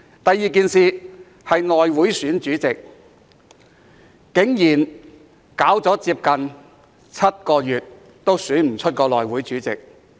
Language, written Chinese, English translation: Cantonese, 第二，是內務委員會選舉主席，竟然搞了接近7個月仍未能選出內會主席。, Second it was the election of the Chairman of the House Committee . The Chairman of the House Committee could still not be elected after a period of nearly seven months